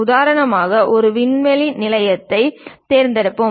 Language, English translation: Tamil, For example, let us pick a space station